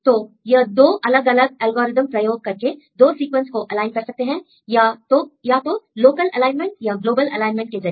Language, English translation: Hindi, So, we can use these 2 different algorithms right to align the sequences one and the sequence 2, either with the local alignment or with the global alignment